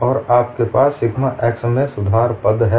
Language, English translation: Hindi, You have only sigma x axis